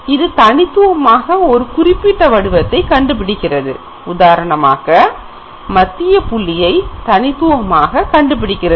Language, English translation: Tamil, And this is uniquely identifying this particular pattern, for example, it uniquely identifies the central point